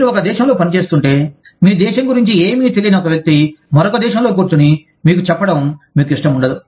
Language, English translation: Telugu, If you are functioning in one country, you do not want somebody sitting in another country, who does not have any knowledge of your country, telling you, what to do